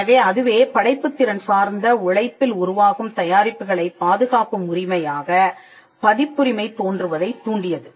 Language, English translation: Tamil, So, that itself triggered the emergence of copyright as a right to protect the products of creative labour